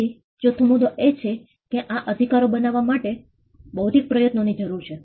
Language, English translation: Gujarati, So, the fourth point is the fact that it requires an intellectual effort to create these rights